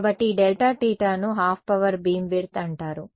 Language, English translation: Telugu, So, this delta theta becomes it is called the Half Power Beam Width